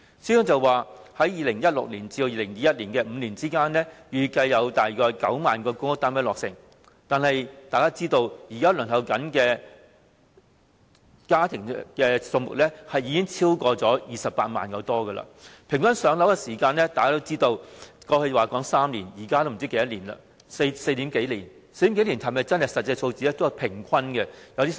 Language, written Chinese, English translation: Cantonese, 司長表示在2016年至2021年的5年間，預計約有9萬個公屋單位落成，但大家也知道，現時輪候冊上的申請數目已超過28萬個，平均的"上樓"時間由過去的3年延長至現時的4年多，但這還可能只是平均數字。, The Financial Secretary says that in the five - year period from 2016 to 2021 90 000 public housing units are expected to be completed . But as we all know there are now over 280 000 public housing applications on the Waiting List and the average waiting time for public housing allocation has lengthened from three years in the past to more than four years at present . And this is just the average figure